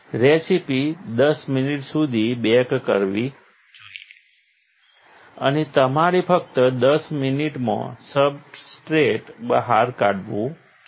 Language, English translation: Gujarati, The recipe should bake for 10 minutes and you should just take out the substrate in 10 minutes